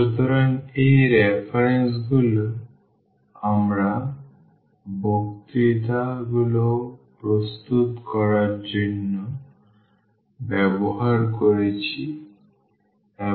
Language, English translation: Bengali, So, these are the references we have used for preparing the lectures and